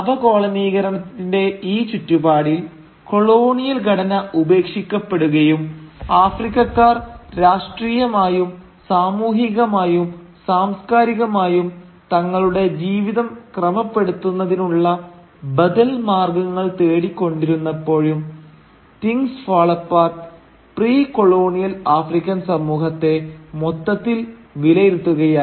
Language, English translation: Malayalam, And in this milieu of decolonisation, when the Colonial structure was being discarded and Africans were searching for alternative ways of politically, socially, and culturally organising their lives, Things Fall Apart tried to take stock of the precolonial African society